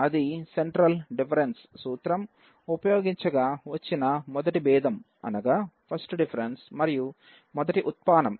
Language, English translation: Telugu, That was the first derivative using the central difference formula